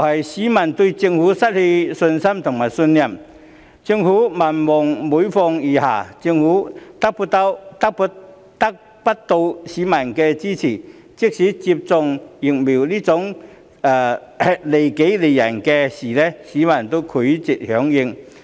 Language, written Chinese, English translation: Cantonese, 市民對政府失去信心和信任，政府民望每況愈下，得不到市民的支持，即使是接種疫苗這種利己利人的事，市民也拒絕響應。, Members of the public have lost confidence and trust in the Government whose popularity rating has thus kept declining and having failed to enlist the support of local citizens people are reluctant to cooperate in even such matters as the COVID - 19 Vaccination Programme which will actually benefit others as well as themselves